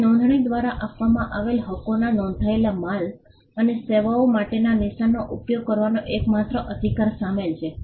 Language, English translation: Gujarati, Now the rights conferred by registration include exclusive right to use the mark for registered goods and services